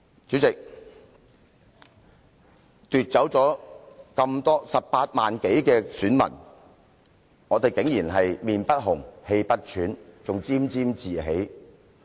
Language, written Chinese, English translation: Cantonese, 主席，對於奪走了18萬多名選民的選擇，你們竟然臉不紅、氣不喘，更沾沾自喜。, President when you people have snatched the choices of over 180 000 voters you can still remain shameless without even blushing or breathing hard and what is more you are even revelling in complacency